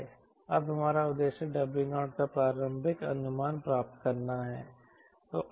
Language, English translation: Hindi, our aim is to get initial estimate of w naught